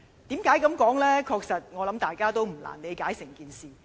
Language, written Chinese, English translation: Cantonese, 我想大家確實不難理解整件事。, I believe the whole thing is not difficult to understand